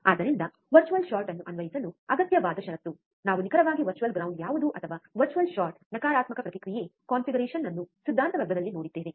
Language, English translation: Kannada, So, the required condition to apply virtual short we have also seen what exactly virtual ground is or virtual short is in the theory class, the negative feedback configuration